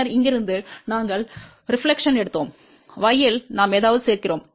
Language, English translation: Tamil, Then from here, we are taken the reflection and in y we are adding something